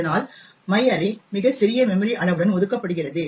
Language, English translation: Tamil, Thus, my array gets allocated with a very small memory size